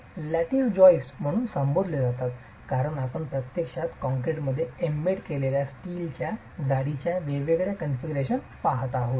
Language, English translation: Marathi, These are referred to as lattice joyce because we are actually looking at different configurations of a steel lattice that's embedded in the concrete